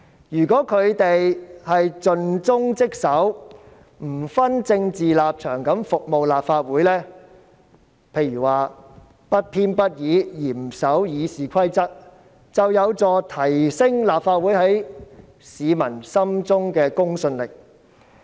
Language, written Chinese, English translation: Cantonese, 如果他們盡忠職守，不分政治立場服務立法會，譬如不偏不倚，嚴守《議事規則》，就有助提升立法會在市民心中的公信力。, If they are dedicated to their duties and serve the Legislative Council without taking any political stances for example by strictly complying with the Rules of Procedure in an impartial manner they will help enhance the credibility of the Legislative Council among the public